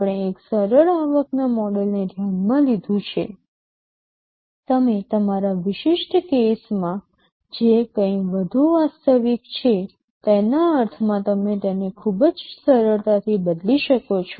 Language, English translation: Gujarati, We considered a simplified revenue model, you can modify it very easily to mean whatever is more realistic in your specific case